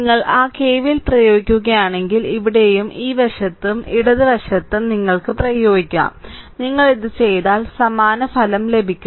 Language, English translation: Malayalam, So, if you apply your what you call that KVL’ so side here also this side also left hand side also you can apply, you will get the identical result same result if you make it